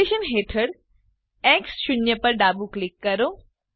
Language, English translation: Gujarati, Left click X 0 under location